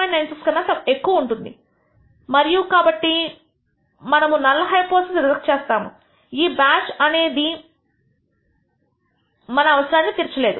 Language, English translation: Telugu, 96 and therefore, we reject the null hypothesis this batch does not satisfy our needs